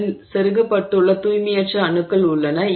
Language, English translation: Tamil, It has impurity atoms which have been inserted into it